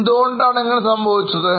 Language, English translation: Malayalam, Why this would have happened